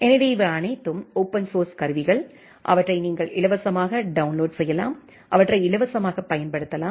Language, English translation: Tamil, So, these are all open source tools, you are free to download them, free to use them